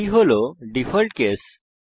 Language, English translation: Bengali, This is the default case